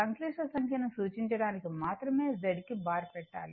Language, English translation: Telugu, It just to represent complex number you put Z bar